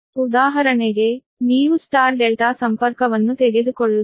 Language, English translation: Kannada, this is: for example, you take star delta connection